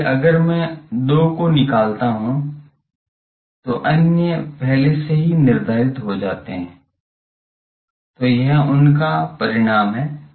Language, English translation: Hindi, So, if I find 2 the other already gets determined ok, so, this is the outcome of these